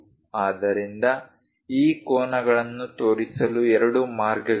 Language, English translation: Kannada, So, there are two ways to show these angles